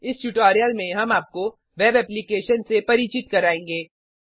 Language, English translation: Hindi, In this tutorial we introduce you to a web application